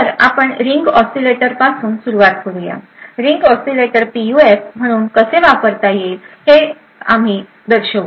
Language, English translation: Marathi, So, we will start with ring oscillator, we will show how ring oscillator can be used as a PUF